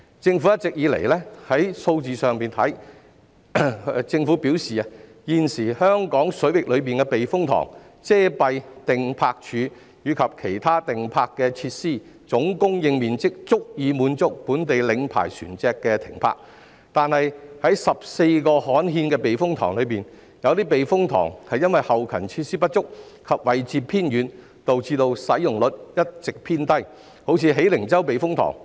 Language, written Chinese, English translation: Cantonese, 政府一直表示，從數字上看，現時香港水域內的避風塘、遮蔽碇泊處及其他碇泊設施的總供應面積足以滿足本地領牌船隻停泊，但在14個刊憲的避風塘中，有些避風塘後勤設施不足及位置偏遠，導致使用率一直偏低，如喜靈洲避風塘。, The Government always claims that according to the figures the existing supply of space in the typhoon shelters the sheltered anchorages and other anchorage facilities in Hong Kong waters can meet the demand of locally licensed vessels . Yet among the 14 gazetted typhoon shelters some of them have been under - utilized due to inadequate back - up facilities and remote locations such as the Hei Ling Chau Typhoon Shelter